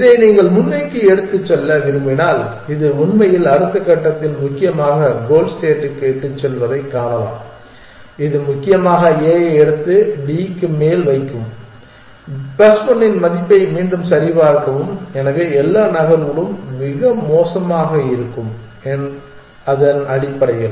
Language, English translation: Tamil, If you want to take this forward you can see that this actually leads to the goal state essentially in the next step essentially it will pick up a and put it on top of D recheck value of plus 1, all other moves will be worst in that essentially